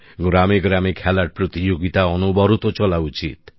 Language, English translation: Bengali, In villages as well, sports competitions should be held successively